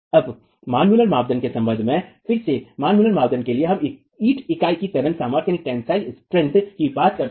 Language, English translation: Hindi, Now again with respect to the manmuller criterion, for the manmuller criterion, we were talking of the tensile strength of the brick unit